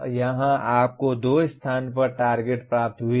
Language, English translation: Hindi, Here you have in two places we have attained the targets